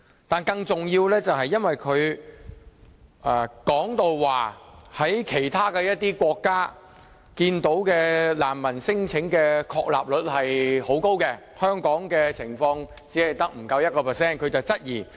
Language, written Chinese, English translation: Cantonese, 但是，更重要的是，因為他說，看到其他一些國家難民聲請的確立率很高，香港的情況卻不足 1%， 於是他有所質疑。, However more importantly he said that the substantiation rates for refugee claimants in certain countries are high while the rate in Hong Kong is less than 1 % . He therefore raised a query in this respect